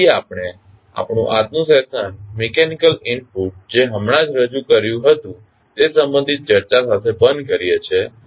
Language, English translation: Gujarati, So, we close our today’s session with the discussion related to the mechanical input which we just had